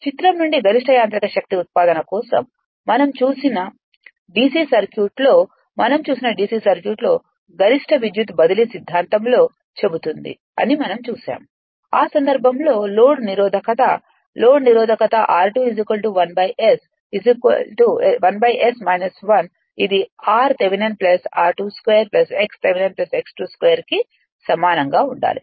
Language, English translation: Telugu, For maximum mechanical power output from figure, the conditional will be we have seen know that your what you call in the maximum power transfer theorem say in the d c circuit we have seen, in a c circuit we have seen; in that case the load resistance; this is load resistance the r 2 dash is equal to 1 upon S minus 1 it has to be equal to your r Thevenin plus r 2 dash square plus x Thevenin plus x 2 dash square